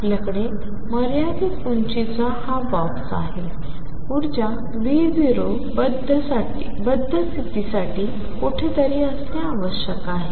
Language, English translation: Marathi, We have this box of finite height V 0 energy must be somewhere in between for a bound state